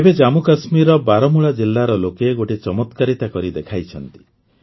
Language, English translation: Odia, Now the people of Baramulla district of Jammu and Kashmir have done a wonderful job